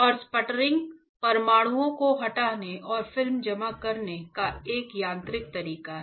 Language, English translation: Hindi, And a sputtering is a mechanical way of dislodging the atoms and depositing a film